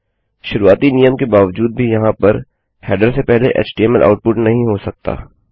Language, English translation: Hindi, Despite the initial rule of no html output before header up here